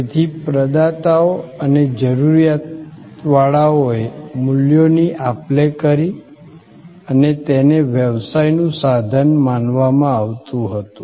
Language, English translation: Gujarati, So, providers and seekers exchanged values and that was considered as the engine of business